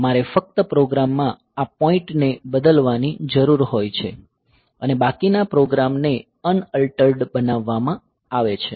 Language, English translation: Gujarati, So, I just need to change this point in the program and rest of the program will be made unaltered